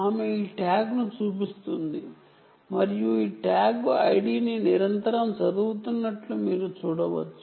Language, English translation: Telugu, she will show this tag, ok, and you can see that this tag is being read continuously, the tag id, as you can see